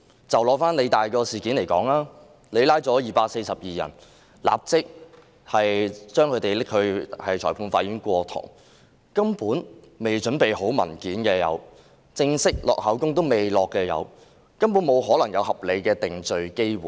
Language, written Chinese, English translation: Cantonese, 以香港理工大學事件為例，警方拘捕242人後，立即帶他們到裁判法院上庭，因而出現未備齊文件的情況，也有人尚未錄取口供，根本沒可能有合理的定罪機會。, Take the incident at the Hong Kong Polytechnic University as an example . Right after their arrests the 242 people were brought by the Police to the magistrates courts . As a result the documents were not completely prepared